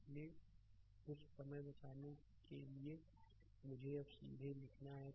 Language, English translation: Hindi, So, to save sometime so, I have directly now writing